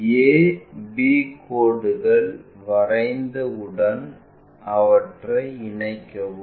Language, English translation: Tamil, Once a b lines are there join them